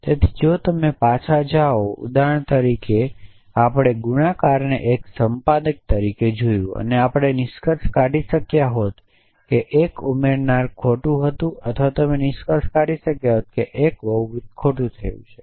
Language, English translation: Gujarati, So, if you go back to example that we looked of multiply as an adders we could have concluded that the 1 adder was wrong or you could have concluded that 1 multiple had gone wrong